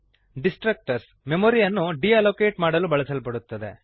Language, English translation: Kannada, Destructors are used to deallocate memory